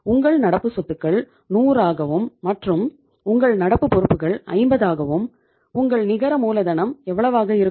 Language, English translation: Tamil, Your current assets are say 100 and your current liabilities are 50 so it means net working capital is going to be how much